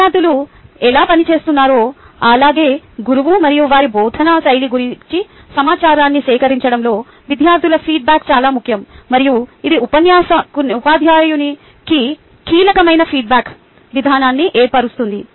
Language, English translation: Telugu, student feedback is very important in ah, collecting ah information of how students have been performing as well as about the teacher and their instructional style, and that forms a key feedback uh ah mechanism for the teacher